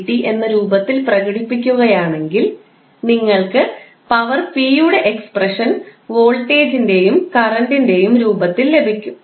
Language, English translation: Malayalam, Now, if you express dw by dt as dw by dq and dq by dt you will simply get the expression of power p in the form of voltage and current